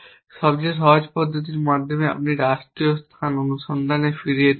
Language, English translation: Bengali, The simplest approach you can go back to state space search